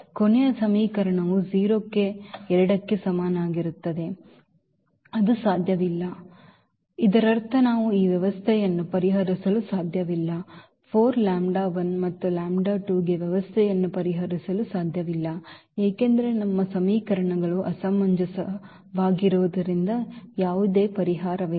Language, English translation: Kannada, The last equation says that 0 is equal to 2 which is not possible which is not possible here; that means, we cannot solve this system we cannot solve this system for 4 lambda 1 and lambda 2 there is no solution because our equations are inconsistent